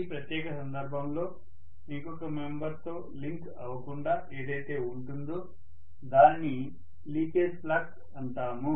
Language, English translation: Telugu, In this particular case, whatever does not link with the other member, we call that as the leakage flux